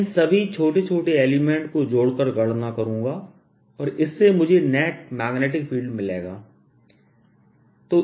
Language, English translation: Hindi, i'll calculate, add all these small small things and add them together and that gives me the [neck/net] net magnetic field